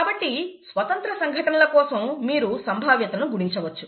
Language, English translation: Telugu, Independent events, you can multiply the probabilities